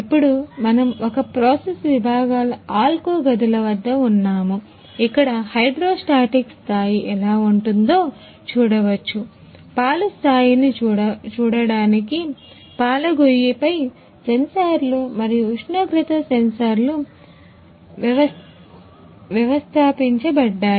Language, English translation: Telugu, Now, we are at Alco rooms of a process sections, where we can see the how the hydrostatic level sensors and temperatures sensors are installed on milk silo to see the level of milk and temperatures of milk silos